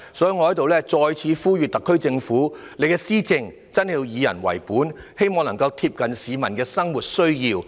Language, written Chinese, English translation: Cantonese, 所以，我在此再次呼籲特區政府，施政要真的以人為本，貼近市民的生活需要。, Therefore here I appeal to the Government once again to be genuinely people - oriented in its administration staying close to the peoples needs in their everyday life